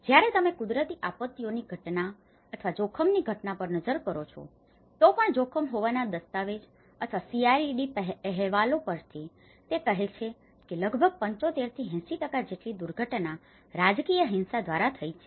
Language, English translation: Gujarati, When you look at the natural disasters phenomenon or the risk phenomenon, even from the document of at risk or the CRED reports, it says almost more than 75% to 80% of the disasters are through the political violence